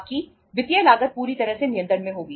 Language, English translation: Hindi, Your financial cost will be totally under control